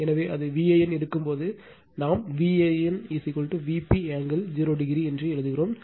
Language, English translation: Tamil, So, when it is V a n, we write V a n is equal to V p angle 0 degree this is reference